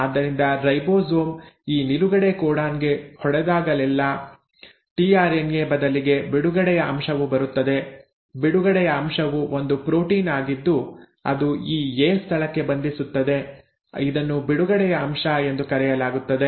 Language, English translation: Kannada, So instead of a tRNA whenever the ribosome hits this stop codon, what is called as a “release factor” comes, a release factor, it is a protein which comes and binds to this A site, it is called as the release factor